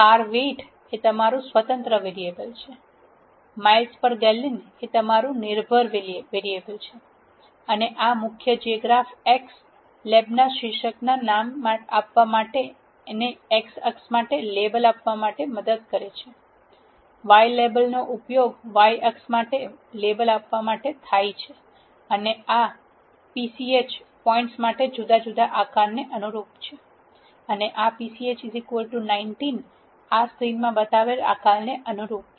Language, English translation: Gujarati, This is your independent variable car weight, this is your dependent variable miles per gallon and this main helps in naming the title of the graph x lab to give a label for x axis, y lab is used to give a label for y axis and the this pch corresponds to different shapes for points, and this pch is equal to 19 corresponds to the shape that is shown in this screen